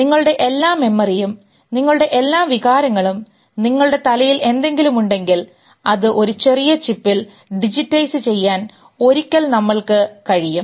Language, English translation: Malayalam, Maybe someday we are able to digitize all your memory, all your feelings, whatever things are in your head in a small chip and put it